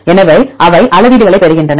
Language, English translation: Tamil, So, they derive the metrics